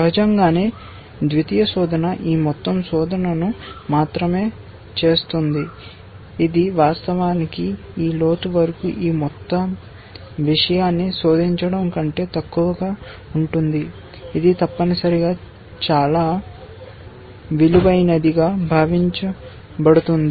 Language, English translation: Telugu, Obviously, the secondary search will only do this much amount of search, which is at last less than actually searching this whole thing up to this depth, that would have been meant much more worth essentially